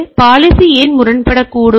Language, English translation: Tamil, So, why policy may conflict